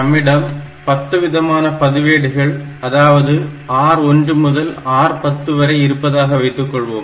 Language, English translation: Tamil, Like if I have got say 10 different registers in my processor, say R 1 to R 10